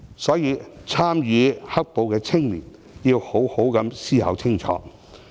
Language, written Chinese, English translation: Cantonese, 所以，參與"黑暴"的青年要好好思考清楚。, These are the questions which young people who have participated in the black violence should seriously consider